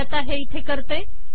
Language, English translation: Marathi, Let me do that here